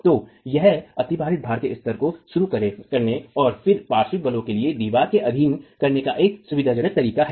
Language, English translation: Hindi, So, it's a convenient way of introducing the level of superimposed load and then subjecting the wall to lateral forces